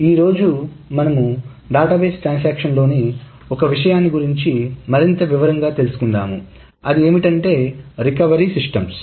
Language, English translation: Telugu, Today we will go over one area of the database transactions in much more detail which is the recovery systems